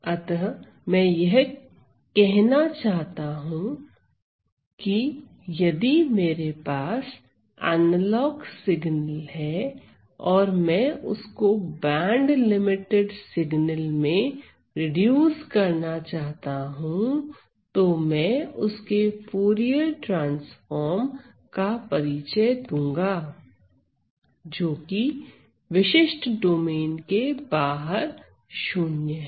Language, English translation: Hindi, So, what I am trying to do is, if I have an analog signal and I want to reduce it to a band limited signal; I introduce its Fourier transform, such that it is 0 outside a particular domain